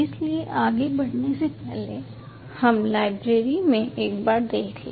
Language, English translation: Hindi, so before moving any further, let us just take a look in the library